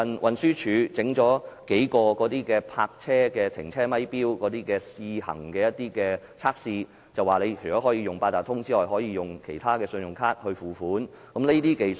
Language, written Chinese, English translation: Cantonese, 運輸署最近設立數個泊車停車咪錶以進行測試，除可使用八達通以外，更可以其他信用卡付款。, The Transport Department has recently installed a number of parking meters for testing . In addition to using Octopus users can pay with credit cards